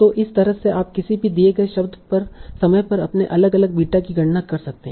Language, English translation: Hindi, 5 so like that you can compute all the your different betas at this given time point